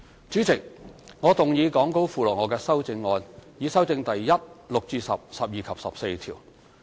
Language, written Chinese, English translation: Cantonese, 主席，我動議講稿附錄我的修正案，以修正第1、6至10、12及14條。, Chairman I move my amendments to amend clauses 1 6 to 10 12 and 14 as set out in the Appendix to the Script